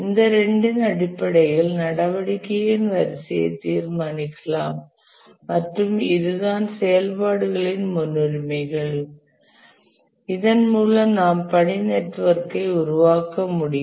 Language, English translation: Tamil, And based on these two, that is what are the activities and their precedence relations, we can create the task network